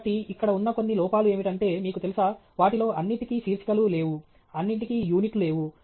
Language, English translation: Telugu, So, few errors that are there immediately are that, you know, not all of them have the headings, not all of them have units